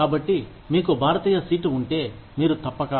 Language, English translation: Telugu, So, if you have an Indian seat, you are supposed to